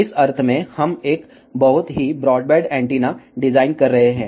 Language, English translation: Hindi, In the sense, we are designing a very broadband antenna